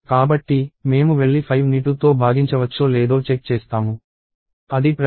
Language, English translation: Telugu, So, I go and check whether 5 is divisible by 2; it is not